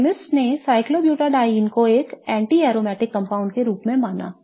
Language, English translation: Hindi, So, chemists thought of cyclobuta dine as an anti aromatic compound